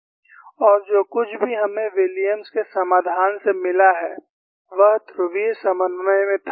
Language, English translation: Hindi, And whatever we have got from Williams' solution was in polar co ordinates